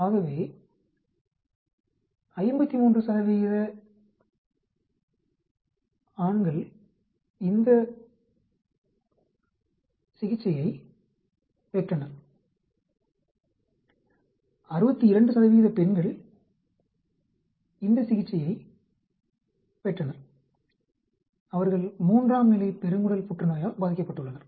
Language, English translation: Tamil, So, 53 percent of men received this therapy, 62 percent of women received this therapy, who were diagnosed with stage 3 colon cancer